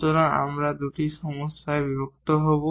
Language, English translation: Bengali, So, we will break into two problems